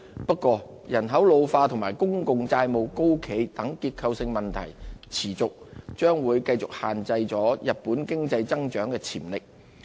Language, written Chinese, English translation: Cantonese, 不過，人口老化及公共債務高企等結構性問題持續，將繼續限制日本經濟增長潛力。, However Japan remains haunted by structural problems such as ageing population and high public debt which limit its economic growth